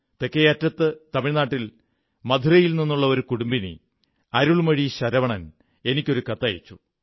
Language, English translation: Malayalam, From the far south, in Madurai, Tamil Nadu, Arulmozhi Sarvanan, a housewife, sent me a letter